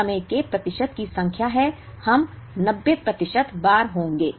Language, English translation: Hindi, It is the number of percentage of times, we will be 90 percent of the times